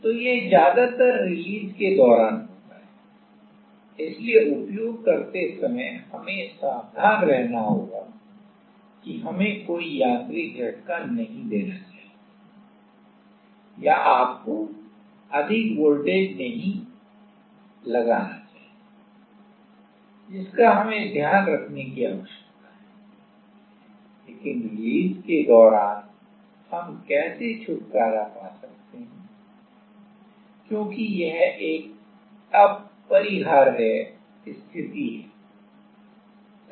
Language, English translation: Hindi, So, in use is we have to be careful we should not give any mechanical shock or you should not put more like a more voltage that we need to be taken care of, but during release how we can get rid off, because this is an unavoidable situation right